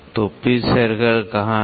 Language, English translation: Hindi, So, what is pitch circle